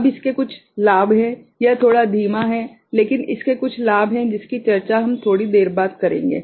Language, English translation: Hindi, Now, it has got certain advantage, it is little bit slower lower, but it has got certain advantage which we shall discuss little later